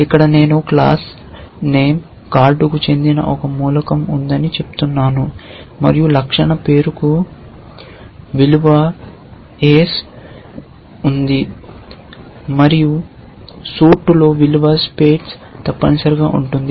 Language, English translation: Telugu, Here I am saying there is an element which belongs to the class name card and the attribute name has value ace and the attribute suit has value spade essentially